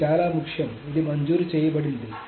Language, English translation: Telugu, But this is very importantly this is granted